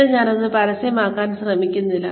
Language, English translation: Malayalam, Again, I am not trying to publicize it